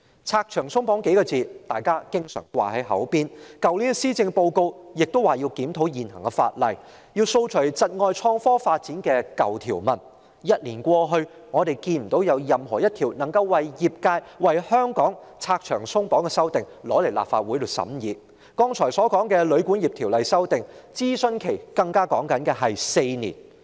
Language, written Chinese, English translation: Cantonese, "拆牆鬆綁"這數字是當局常掛在嘴邊的，去年的施政報告亦提到要檢討現行法例，以掃除窒礙創科發展的舊條文，但一年過去，我們未見有一項為業界和香港拆牆鬆綁的法案提交立法會審議，而我剛才提及的《條例草案》的諮詢期更長達4年。, In the policy address last year it was also mentioned that existing legislation should be reviewed to remove obsolete provisions impeding the development of innovation and technology . Yet a year has passed we have not yet seen any bills seeking to remove hurdles for the industry and Hong Kong presented to the Legislative Council for scrutiny . As for the Bill I just mentioned the consultation period lasted as long as four years